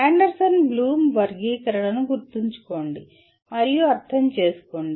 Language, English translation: Telugu, Remember and understand of Anderson Bloom taxonomy